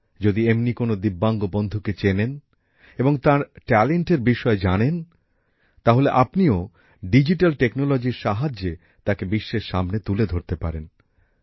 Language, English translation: Bengali, If you also know a Divyang friend, know their talent, then with the help of digital technology, you can bring them to the fore in front of the world